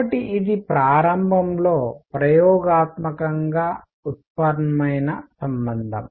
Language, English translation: Telugu, So, this is an initially experimentally derived relation